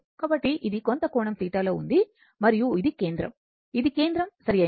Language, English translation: Telugu, So, this is at some angle theta and this is your center, this is the center right and it is revolving